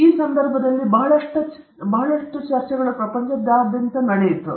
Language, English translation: Kannada, So, in this context, lot of discussions happened all over the world